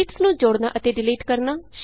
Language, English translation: Punjabi, Inserting and Deleting sheets